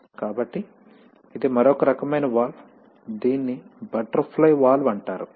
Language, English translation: Telugu, So this is another kind of valve which is called a butterfly valve